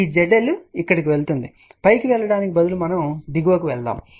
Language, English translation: Telugu, This Z L go to here instead of going up we are going down